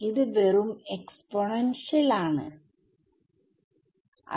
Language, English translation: Malayalam, So, its just an exponential right